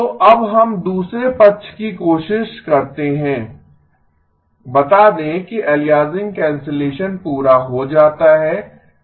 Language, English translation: Hindi, So now let us try the other side, let us say that aliasing cancellation is done